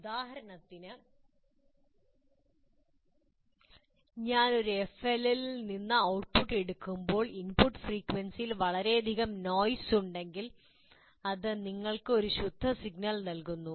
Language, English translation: Malayalam, For example, if there is a lot of noise associated with the input frequency, when I take the output from an FLL, it gives you a pure signal